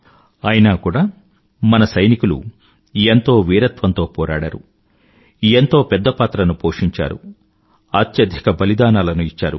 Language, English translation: Telugu, Despite this, our soldiers fought bravely and played a very big role and made the supreme sacrifice